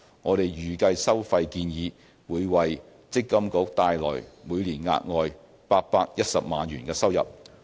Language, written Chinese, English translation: Cantonese, 我們預計收費建議會為積金局帶來每年額外810萬元收入。, The fee proposal will bring an estimated additional annual revenue of 8.1 million to MPFA